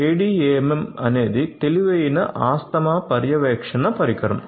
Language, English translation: Telugu, So, ADAMM is an intelligent asthma monitoring device that has been developed